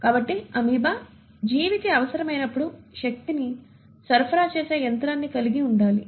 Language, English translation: Telugu, So the amoeba will have to have machinery in place where as and when the organism needs it, the energy is supplied